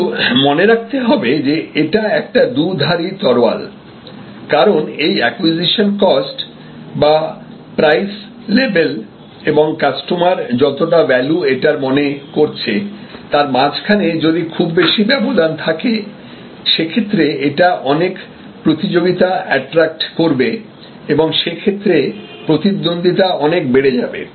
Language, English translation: Bengali, But, remember that this is a kind of a two way sword or two edged sword, because if there is a big gap between the value perceived by the customer versus the prevailing price level in the market, the acquisition cost level in the market, it attracts more and more competition, the competition goes up in this case